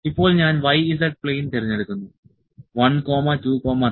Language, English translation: Malayalam, Now, I am selecting the y z plane 1, 2 and 3